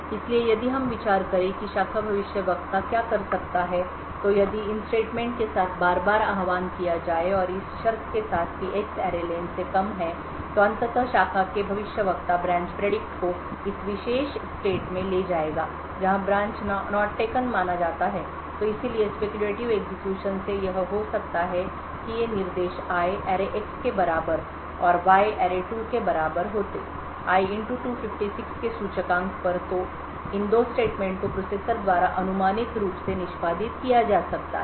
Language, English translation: Hindi, So if we consider what the branch predictor would do is that repeated invocation of these if statements and with the condition that X is less than array len would eventually move the branch predictor to this particular state where the branch is considered to be not taken therefore from a speculative execution what can happen is that these instructions I equal to array[X] and Y equal to array2 at the index of I * 256 so these two statements can be speculatively executed by the processor